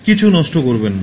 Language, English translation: Bengali, Do not waste anything